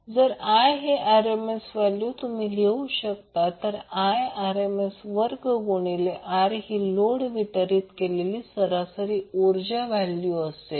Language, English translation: Marathi, So, if I is RMS then you can write I RMS square into R that is the value of average power delivered to the load